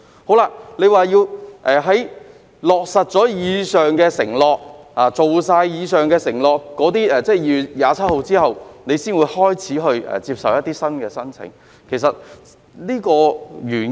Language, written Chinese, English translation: Cantonese, 局長說要在落實及完成以上承諾後，即在2月27日後，才開始接受新的申請，原因是甚麼？, The Secretary said that the Government would start receiving new applications upon implementation and completion of the aforesaid committed measures that is after 27 February . What is the reason for that?